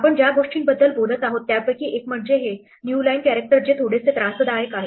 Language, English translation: Marathi, One of the things we are talking about is this new line character which is a bit of annoyance